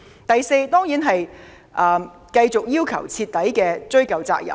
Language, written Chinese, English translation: Cantonese, 第四，當然是繼續要求徹底追究責任。, The fourth point is certainly to continue to thoroughly pursue the accountability of MTRCL